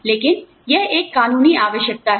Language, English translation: Hindi, But, it is a legal requirement